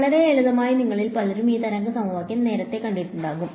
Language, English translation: Malayalam, Fairly simple many of you have probably seen this wave equation derivation earlier ok